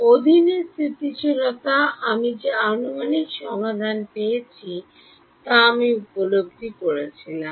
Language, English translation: Bengali, Under stability, the approximate solution that I got I made sense